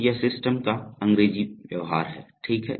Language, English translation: Hindi, So this is the English behavior of the system, okay